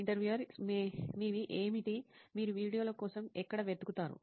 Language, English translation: Telugu, What are your, where do you search for videos